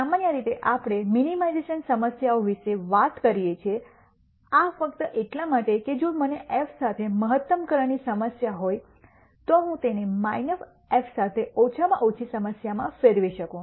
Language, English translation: Gujarati, In general we talk about minimization problems this is simply because if I have a maximization problem with f, I can convert it to a minimization problem with minus f